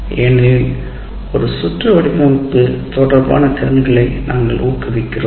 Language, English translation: Tamil, Because we are promoting competencies related to design of a circuit